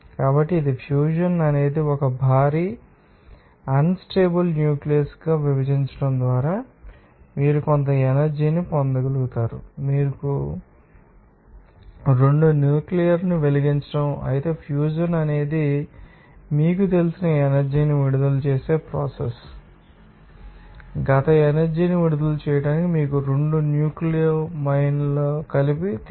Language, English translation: Telugu, So, that is fusion is one process by which you can have some energy just by splitting of a heavy unstable nucleus into, you know, 2 light a nuclear whereas as fusion is the process for the releasing of energy by you know, that combining, you know 2 light a nuclei together into, you know, a combination to release this past amount of energy